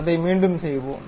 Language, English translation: Tamil, Let us do it once again